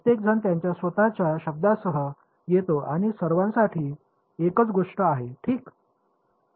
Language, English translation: Marathi, Everyone comes up with their own word for it they all mean the same thing ok